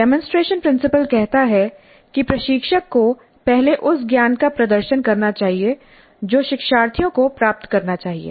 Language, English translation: Hindi, Demonstration principle says that instructor must first demonstrate the knowledge that the learners are supposed to acquire